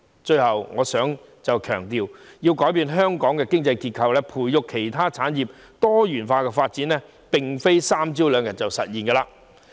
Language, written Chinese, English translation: Cantonese, 最後，我想強調，要改變香港的經濟結構，以及培育其他產業以作多元化發展，並非一朝一夕便能實現的事。, Finally I would like to emphasize that changing Hong Kongs economic structure and nurturing other industries for diversified development will not happen overnight